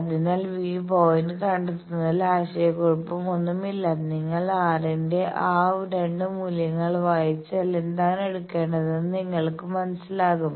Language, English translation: Malayalam, So, no confusion in locating the point if you just read those 2 values of r you will understand which 1 to take